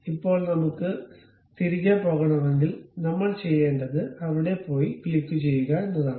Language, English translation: Malayalam, Now, if we want to go back, what we have to do, go there click the single one